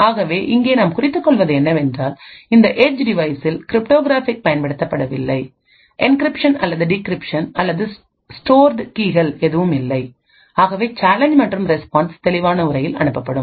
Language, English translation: Tamil, So note that since we are assuming that there is no cryptography present, there is no encryption or decryption or any other stored keys present in the edge device therefore, the challenge and the response would be sent in clear text